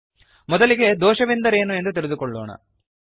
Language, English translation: Kannada, http://spoken tutorial.org Lets first define, What is an error#160